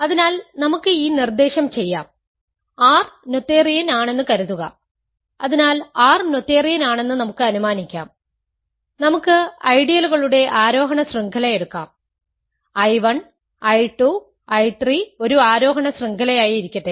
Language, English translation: Malayalam, So, let us do this direction, suppose R is noetherian; so let us assume that R is noetherian and let us take a an ascending chain of ideals, let I 1, I 2, I 3 be an ascending chain